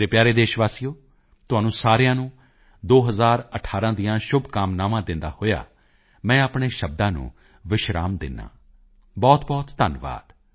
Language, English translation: Punjabi, My dear countrymen, with my best wishes to all of you for 2018, my speech draws to a close